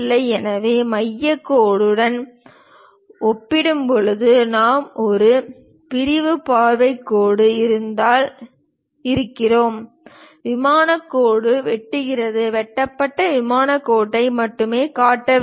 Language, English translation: Tamil, So, compared to the center line, we if there is a sectional view line is present, cut plane line; then one has to show only that cut plane line